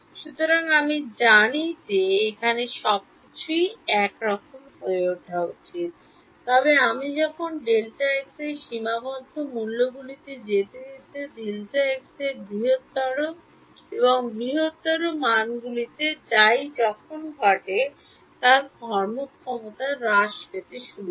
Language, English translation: Bengali, So, I know that everything should somehow land up over here, but as I go to finite values of delta x as I go to larger and larger values of delta x what happens is the performance begins to degrade